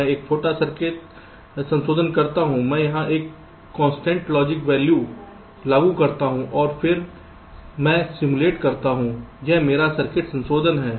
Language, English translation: Hindi, i make a small circuit modification, i apply a constant logic value here and then i simulate